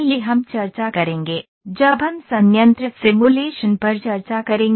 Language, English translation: Hindi, This we will discuss, when we will discuss plant simulation